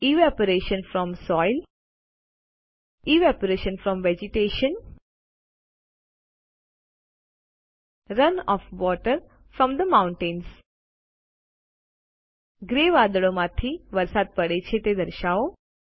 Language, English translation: Gujarati, Evaporation from soil Evaporation from vegetation Run off water from the mountains Lets show rain falling from the grey clouds